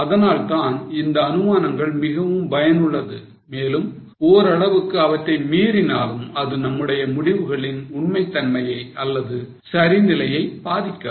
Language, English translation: Tamil, That is why these assumptions are very much useful and to an extent they can be violated, it doesn't affect the correctness or fairness of our decision